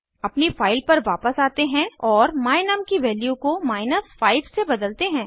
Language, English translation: Hindi, Lets go back to our file and change the value of my num to 5